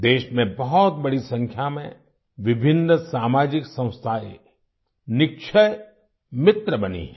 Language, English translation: Hindi, A large number of varied social organizations have become Nikshay Mitra in the country